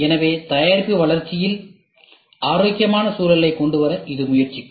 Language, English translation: Tamil, So, this will try to bring in a healthy environment while product development